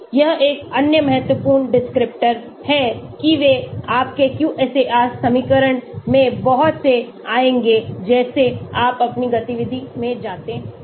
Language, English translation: Hindi, this is another important descriptor they will come quite a lot in many of your QSAR equation as you go along in your activity